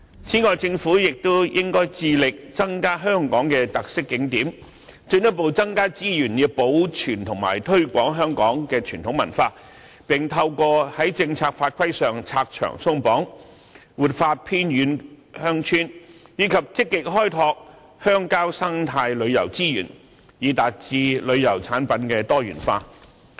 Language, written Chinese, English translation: Cantonese, 此外，政府亦應該致力增加香港的特色景點，進一步增加資源，以保存和推廣香港的傳統文化，並透過在政策法規上拆牆鬆綁，活化偏遠鄉村，以及積極開拓鄉郊生態旅遊資源，以達致旅遊產品多元化。, In addition the Government should endeavour to increase Hong Kongs unique attractions further beef up resources for preservation and promotion of Hong Kongs traditional culture revitalizing remote villages by removing the restrictions imposed by policies and regulations and proactively explore eco - tourism resources in rural areas with a view to achieving diversification in tourism products